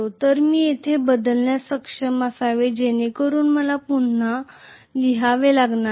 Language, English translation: Marathi, So I should be able to substitute that i here, so that I do not have to write that i again